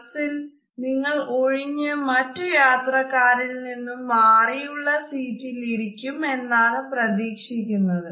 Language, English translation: Malayalam, Next up the bus, where you are expected to choose an open seat away from other riders